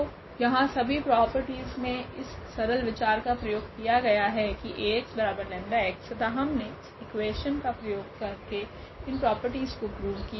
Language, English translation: Hindi, So, here in all these properties the simple idea was to use this Ax is equal to lambda x and we played with this equation only to prove all these properties